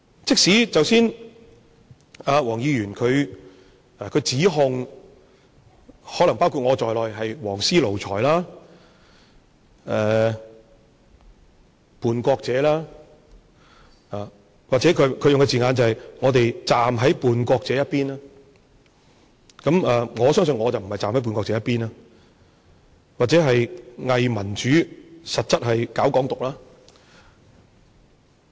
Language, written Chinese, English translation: Cantonese, 即使剛才何議員指控我們，可能包括我在內，是"黃絲奴才"、叛國者，或者他用的字眼是我們站在叛國者一邊，我相信我不是站在叛國者一邊，或者是偽民主，實質是搞"港獨"。, Just now Dr HO has labelled us maybe including me as yellow ribbon lackeys traitors or in his words we are siding with the traitors which I believe I am not or pseudo - democrats who actually advocate Hong Kong independence . Even Dr HO is convinced so as a legislator should he have acted in that way at a rally? . One must remember that there is difference between a legislator and someone who is not